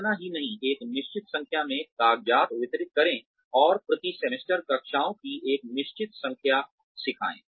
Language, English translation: Hindi, Not only, deliver a certain number of papers and teach a certain number of classes, per semester